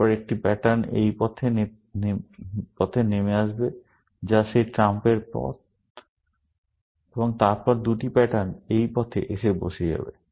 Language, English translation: Bengali, Then, one pattern will come down this path, which is that trump path, and then, two patterns will go down this path